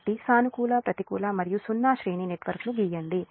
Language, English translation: Telugu, so draw the positive, negative and zero sequence network positive